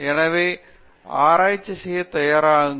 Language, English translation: Tamil, So, get yourself prepared to do research